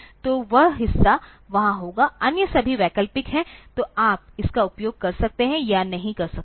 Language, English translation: Hindi, So, that part will be there, others are all optional, so you may or may not use it